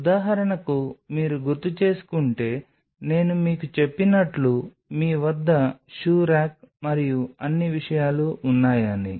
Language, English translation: Telugu, So, say for example, if you remember I told you that you have a shoe rack and all that stuff